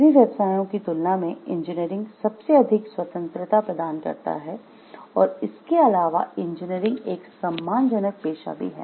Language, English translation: Hindi, Engineering provides the most freedom of all professions, and engineering is an honorable profession